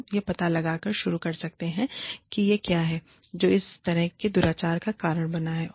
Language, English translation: Hindi, We could start, by finding out, what it is, that has caused, this kind of misconduct